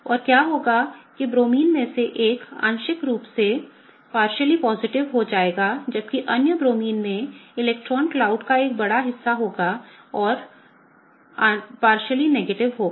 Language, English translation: Hindi, And what will happen is that the one of the Bromines will get partially positive whereas, the other Bromine will have a larger share of the electron cloud and will be partially negative